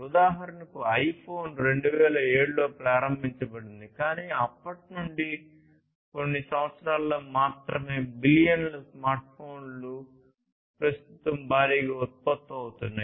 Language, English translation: Telugu, iPhone was launched in 2007, but since then only within few years, billions of smartphones are being mass produced at present